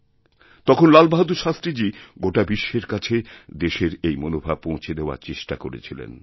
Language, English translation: Bengali, Then, Lal Bahadur Shashtri Ji had very aptly tried to touch the emotional universe of the country